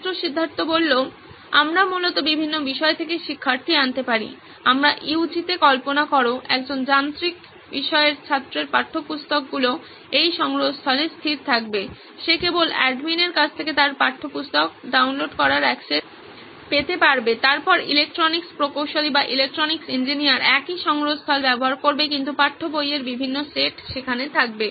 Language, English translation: Bengali, We can have students coming from different subjects basically, imagine in our UG, a mechanical student would have his textbooks fixed in this repository, he would get downloadable access only to his textbooks from the admin, then electronics engineer would have, would be using the same repository but different set of text books would be coming in